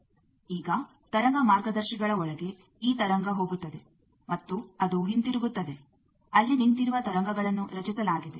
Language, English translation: Kannada, Now inside the wave guides there will be this wave is go and it comes back, there is a standing wave created